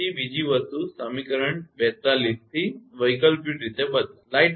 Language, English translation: Gujarati, Then another thing alter alternatively from equation 42